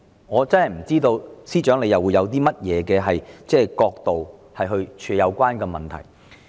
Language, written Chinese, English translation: Cantonese, 我不知道司長會從甚麼角度來處理這個問題。, I do not know from which perspective the Financial Secretary will handle this problem